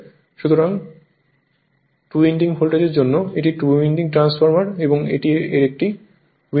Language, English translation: Bengali, So, for two winding voltage, I told you that this for two winding transformer this is 1 winding right